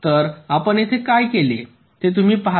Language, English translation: Marathi, so you see what we have done here